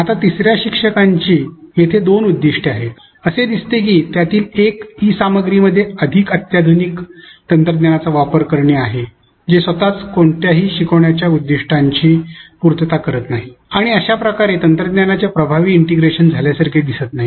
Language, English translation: Marathi, Now, instructor 3 seems to have two goals here one of which is to use more sophisticated technology in the e content which itself does not accomplish any teaching learning objectives and thus does not seem like an effective integration of technology